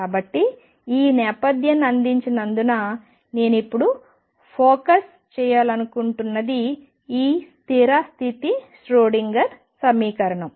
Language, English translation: Telugu, So, having given this background what I want to focus on now is this stationary state Schrödinger equation